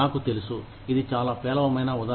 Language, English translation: Telugu, I know, this is a very poor example